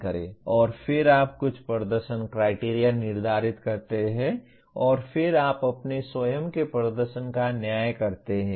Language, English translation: Hindi, And then you set some performance criteria and then you judge your own performance